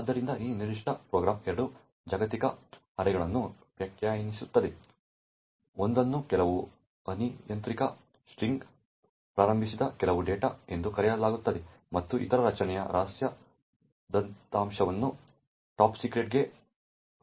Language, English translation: Kannada, this particular program defines two global arrays, one is known as some data which is initialised to some arbitrary string and other array which is secret data which is initialised to topsecret